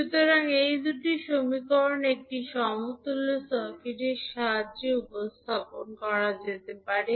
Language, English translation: Bengali, So, these two equations can be represented with the help of a equivalent circuit